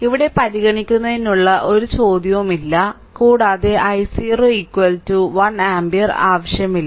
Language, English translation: Malayalam, So, here no question of considering also i 0 is equal to 1 ampere no need right